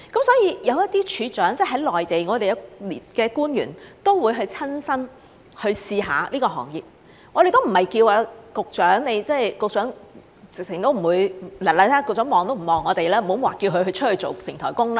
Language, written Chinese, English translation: Cantonese, 所以，有一些處長，即內地的官員都會親身去試試這個行業，我們也不是叫局長，局長看都不看我們，更不要說叫他出去做平台工，對吧？, So some department heads I mean some Mainland officials will actually go and try this work out . We are not asking the Secretary the Secretary does not even look at us not to mention asking him to work as a platform worker . Right?